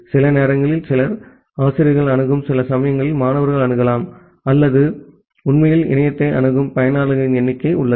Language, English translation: Tamil, Sometimes some, students are accessing sometime the faculties are accessing or there is bounded number of users who are actually accessing the internet